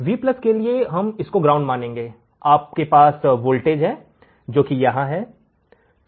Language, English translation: Hindi, For Vplus we will be considering this ground, you have voltage here